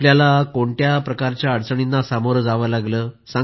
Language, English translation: Marathi, Did you also have to face hurdles of any kind